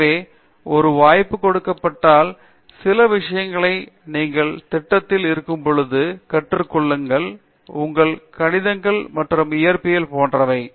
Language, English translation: Tamil, So, given a chance try and teach certain things when you are in the program and yeah get your maths and physics right